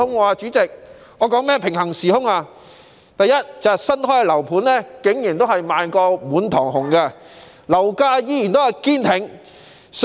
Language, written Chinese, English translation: Cantonese, 我所說的平行時空，是第一，新樓盤仍然賣得滿堂紅，樓價仍然堅挺。, By parallel universe I mean that first newly - built residential units are still selling out fast and property prices have remained stiff all the same